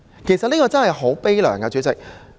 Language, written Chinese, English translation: Cantonese, 其實這真的很可悲，代理主席。, Deputy President this is really saddening